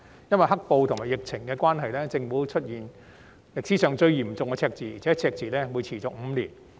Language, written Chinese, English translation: Cantonese, 由於"黑暴"和疫情的關係，政府出現歷史上最嚴重的赤字，而且更會持續5年。, As a result of the black - clad violence and the epidemic the Government has recorded the worst deficit in history which will last for five years